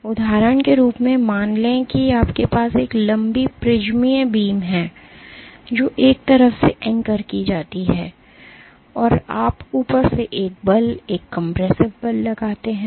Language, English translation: Hindi, As an example, let us say you have a long prismatic beam, which is anchored at one side and you exert a force, a compressive force from the top